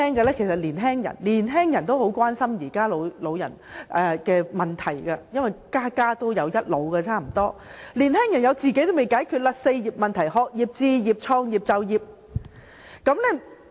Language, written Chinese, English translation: Cantonese, 年輕人也十分關心現在的老年問題，因為差不多家家也有一老，而年輕人連自己的"四業"問題還未解決。, Young people are very concerned about the problem of ageing because there are elderly persons in almost every family . Yet young people have not solved their problems in four areas